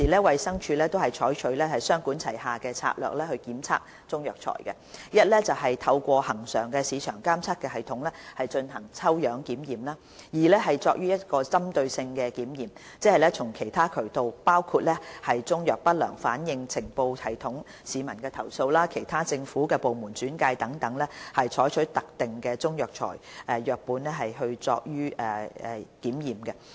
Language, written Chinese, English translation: Cantonese, 衞生署現時採取雙管齊下的策略檢測中藥材，一是透過恆常市場監測系統進行抽樣檢驗；二是進行針對性檢驗，即從其他渠道，包括中藥不良反應呈報系統、市民投訴、其他政府部門轉介等取得特定的中藥材樣本進行檢驗。, Currently DH adopts a two - pronged strategy to test Chinese herbal medicines including first conducting tests on samples through a regular market surveillance system and second conducting targeted tests on Chinese herbal medicine samples obtained from other channels which include the adverse drug reaction reporting system public complaints and referrals from other government departments . DH will also conduct tests on Chinese herbal medicine samples through a regular market surveillance system